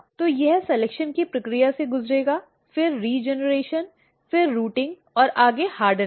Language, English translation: Hindi, So, it will go through the process of selection, then regeneration, then rooting and further hardening